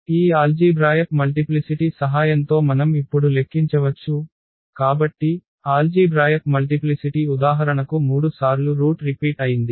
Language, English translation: Telugu, So, that we can now quantify with the help of this algebraic multiplicity; so, algebraic multiplicity if for instance one root is repeated 3 times